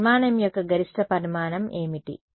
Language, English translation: Telugu, What is the maximum dimension of that structure